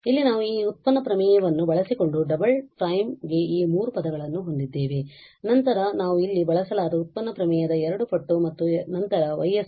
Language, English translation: Kannada, Here we have for the double prime these three terms using this derivative theorem then we have 2 times again the derivative theorem there and then 2 times the Y s